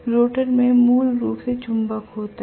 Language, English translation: Hindi, The rotor has basically the magnet